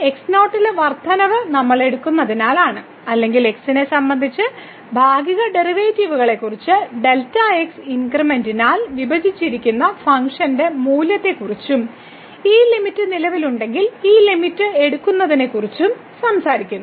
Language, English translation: Malayalam, So, the increment in because we are taking or we are talking about the partial derivatives with respect to x and the function value divided by the delta increment and taking this limit if this limit exists